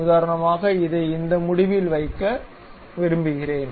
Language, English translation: Tamil, For example, I want to keep it to this end